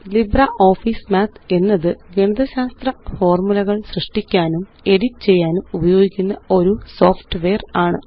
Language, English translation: Malayalam, LibreOffice Math is a software application designed for creating and editing mathematical formulae